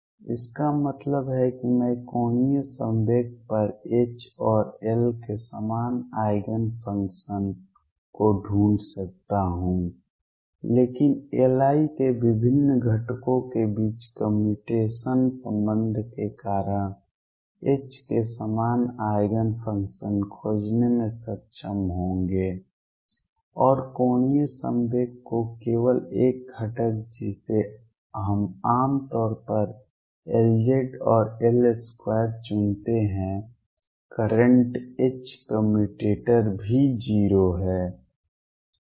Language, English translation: Hindi, That means, I can find common eigen functions of H and L at the angular momentum, but because of the commutation relation between different components of L i will be able to find common eigen functions of H and only one component of angular momentum which we usually choose to be L z and L square current H commutator is also 0